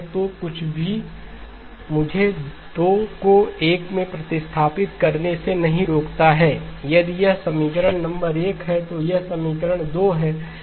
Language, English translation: Hindi, So nothing prevents me from substituting 2 in 1, if this is equation number 1, this is equation 2